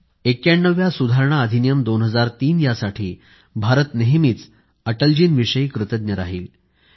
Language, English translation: Marathi, India will remain ever grateful to Atalji for bringing the 91st Amendment Act, 2003